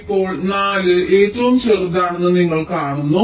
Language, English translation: Malayalam, you see, four is the smallest